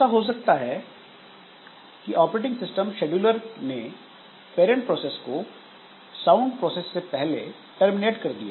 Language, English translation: Hindi, So, it may so happen that the operating system scheduler will schedule the parent process first and the parent process terminates before the child process comes